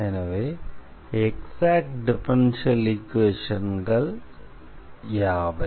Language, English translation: Tamil, So, what are the exact differential equations